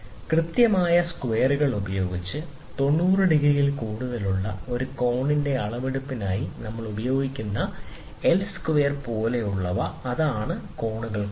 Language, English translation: Malayalam, For the measurement of an angle more than 90 degrees by using precision squares something like L square we use, so that is what along with angles